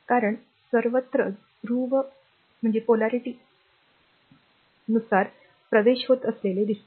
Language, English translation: Marathi, Because everywhere you will see currents are entering to the positive polarity